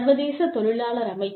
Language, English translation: Tamil, International Labor Organization